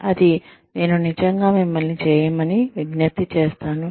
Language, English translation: Telugu, That, I would really urge you to do